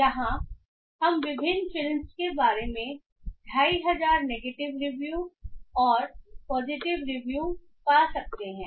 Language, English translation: Hindi, So, here we can find about 2,500 negative reviews and positive reviews about different fillings